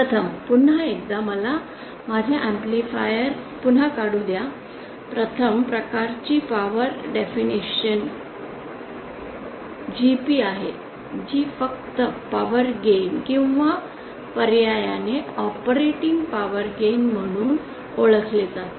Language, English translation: Marathi, First so again let me just draw my amplifier once again the first type of power definition is GP this is quite simply known as power gain or alternatively as operating power gain